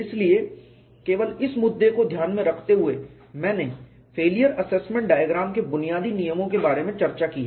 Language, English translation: Hindi, So, keeping this issue in mind only I have discuss rudiments of failure assessment diagram and that is also summarized here